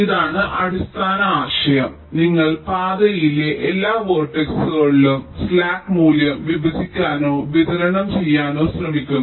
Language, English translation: Malayalam, you are trying to divide or distribute the slack value across all vertices in the path